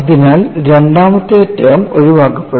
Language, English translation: Malayalam, So, the second term gets knocked off